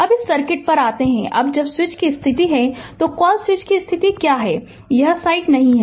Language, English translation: Hindi, Now, come to this circuit, now when when switch position is ah your, what you call switch position is like this, this site is not there